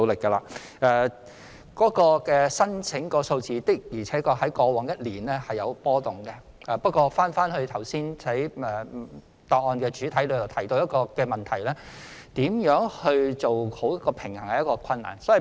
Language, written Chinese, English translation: Cantonese, 外傭工作簽證的申請數字的確在過往一年出現波動，不過正如剛才主體答覆所提到，如何做好平衡是困難的。, The number of employment visa applications from FDHs has really fluctuated over the past one year . However as mentioned in the main reply earlier it is difficult to strike a proper balance